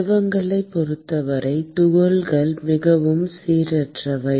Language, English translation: Tamil, In the case of fluids, the particles are much more random